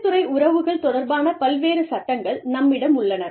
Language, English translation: Tamil, So, we have, various laws related to, industrial relations